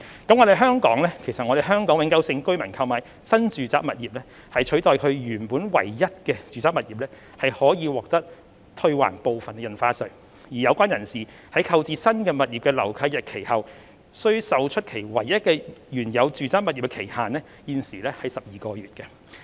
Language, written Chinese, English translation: Cantonese, 而香港永久性居民購買新住宅物業取代原本唯一的住宅物業，可以獲得退還部分印花稅，有關人士在購置新的物業後，須售出其唯一的原有住宅物業的期限現時為12個月。, Hong Kong permanent residents who purchase a new residential property to replace the residential property they merely own can have part of their stamp duty returned if they sell the original property within 12 months after acquisition of the new one